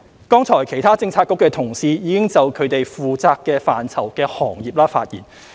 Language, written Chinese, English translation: Cantonese, 剛才其他政策局的同事已就其負責範疇的行業發言。, Just now colleagues from other Policy Bureaux have spoken on the industries under their purview